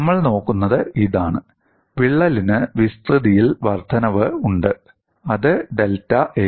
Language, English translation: Malayalam, And what we would look at is the crack has an incremental increase in area; that is given by delta A